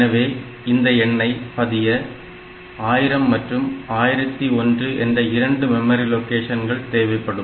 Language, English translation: Tamil, So, you need to have it stored in two locations 1000 and 1001